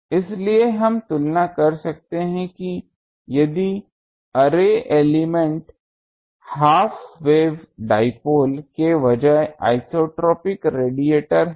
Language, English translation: Hindi, So, we can compare that if the array elements are isotropic radiator instead of half wave dipoles